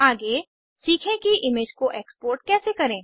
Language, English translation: Hindi, Next, lets learn how to export an image